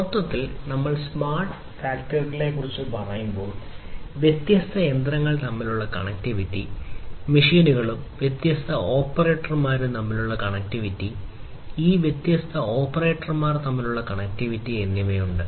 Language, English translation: Malayalam, Overall, when we are talking about smart factories there is lot of connectivity; connectivity between different machines, connectivity between machines and the different operators, connectivity between these different operators